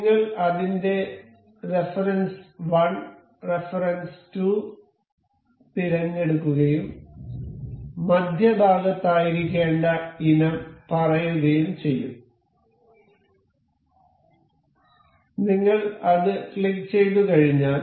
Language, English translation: Malayalam, We will select its reference 1 reference 2 and the item that has to be in the center say this one and this